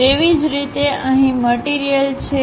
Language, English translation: Gujarati, Similarly, material is present there